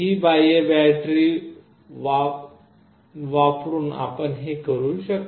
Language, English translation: Marathi, You can do that using this external battery